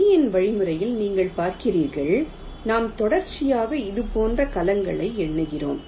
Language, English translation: Tamil, you see, in a lees algorithm we are numbering the cells consecutively like this